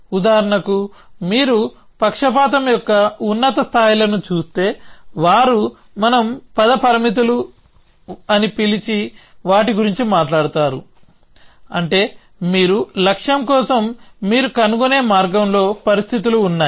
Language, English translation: Telugu, So, if you look at higher levels of prejudice for example, they would talk about what we call as trajectory constraints, which means you have conditions on the path that you have are finding for the goal essentially as well